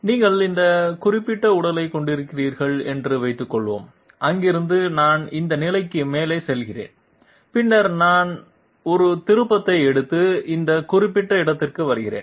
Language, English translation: Tamil, Suppose you are heading this particular body, from here I go up to this position and then I take a turn and come to this particular location